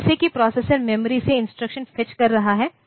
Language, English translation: Hindi, So, as if the processor is fetching the instruction from the memory